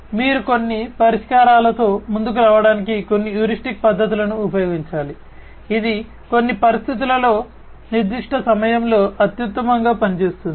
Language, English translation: Telugu, So, you have to use some heuristic methods to come up with certain solutions, which will perform superior at certain point of time under certain conditions